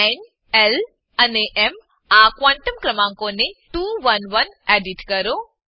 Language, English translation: Gujarati, Edit n, l and m quantum numbers to 2 1 1